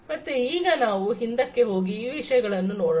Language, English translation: Kannada, So, let us now, you know, go back and look at these things